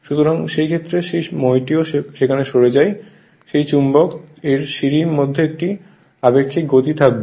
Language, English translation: Bengali, So, there will be a relative speed between that magnet and the ladder